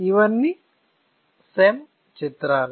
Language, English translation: Telugu, So, these are all SEM images